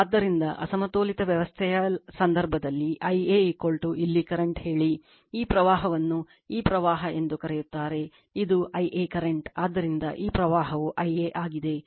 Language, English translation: Kannada, So, in the case of unbalanced system, I a is equal to say current here, this current is your what you call this current, this is I a current, so this current is I a right